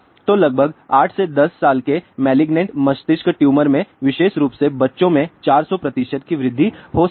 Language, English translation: Hindi, So, in about 8 to 10 year malignant brain tumor may increase by 400 percent especially for young children